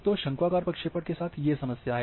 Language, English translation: Hindi, So, this having problem with conical projections